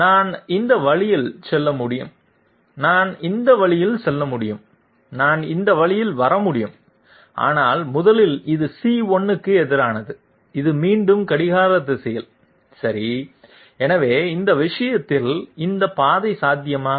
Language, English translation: Tamil, I can move this way, I can move this way and I can come this way but 1st of all this is opposite of C1 and this is again clockwise okay, so in that case what about this path